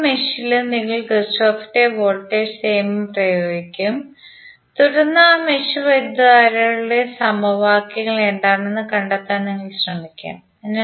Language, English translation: Malayalam, You will use Kirchhoff's voltage law in each mesh and then you will try to find out what would be the equations for those mesh currents